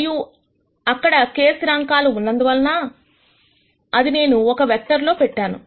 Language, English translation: Telugu, And since there are k constants, which I have put in a vector